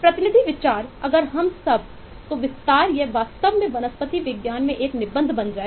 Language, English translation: Hindi, if I expand it all, then it will really become an essay in botany